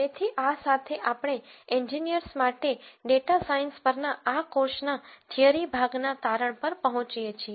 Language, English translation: Gujarati, So, with this we come to the conclusion of the theory part of this course on data science for engineers